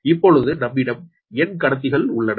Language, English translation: Tamil, so this is the array of m conductors